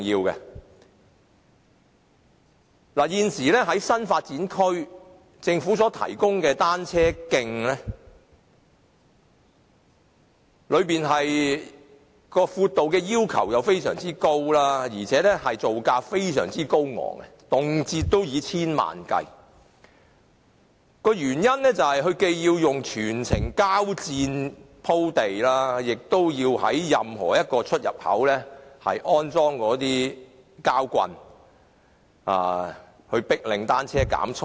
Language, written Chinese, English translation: Cantonese, 現時政府在新發展區提供的單車徑，其闊度要求非常高，造價更非常高昂，動輒以千萬元計算，原因是既要全部以膠墊鋪地，亦要在任何一個出入口安裝膠棒，迫令單車減速。, Regarding the cycle tracks currently provided by the Government in the new development areas the requirement on their width is very stringent and the construction cost is also very high frequently amounting to tens of millions of dollars . The reason is that all the tracks have to be paved with plastic mats and plastic bollards have to be erected at every entrance or exit to force cyclists to lower their speed